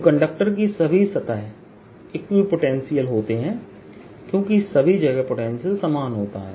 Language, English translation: Hindi, the surfaces of a conductor surfaces conductor r equipotential surfaces because the potential is same everywhere